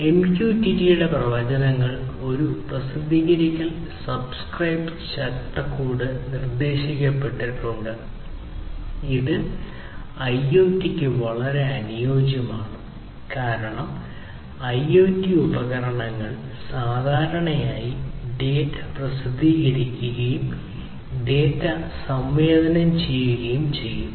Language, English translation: Malayalam, So, the advantages of MQTT is that a Publish/Subscribe framework has been proposed which is very suitable for IoT, because IoT devices typically would be publishing data, sensing data, publishing the data